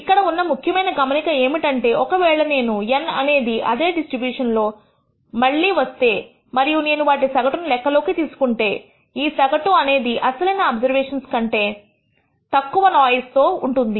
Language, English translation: Telugu, The important point here to be noted is, if I have N repeats from the same distribution and if I take the average of them, the average will be less noisy than the original observations